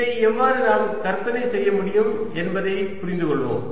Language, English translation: Tamil, let us understand how we can visualize this